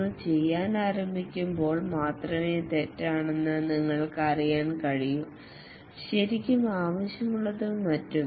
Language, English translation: Malayalam, Only when you start doing, then you can know that what is wrong, what is really required and so on